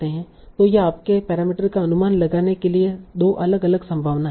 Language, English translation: Hindi, So these are two different possibilities for estimating your parameters